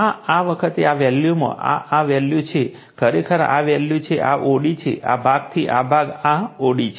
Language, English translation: Gujarati, So, this time in this value, this is this value actually this is the value, this is o d, this is that your this is your o d this, portion this portion right